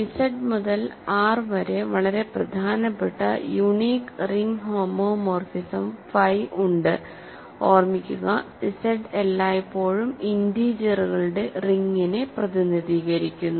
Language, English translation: Malayalam, So, we know that there is a unique, there is very important unique ring homomorphism phi from Z to R, Z remember always represents the ring of integers